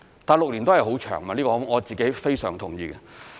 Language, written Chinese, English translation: Cantonese, 但6年亦是很長時間，這個我非常同意。, But I definitely agree that six years is still a long time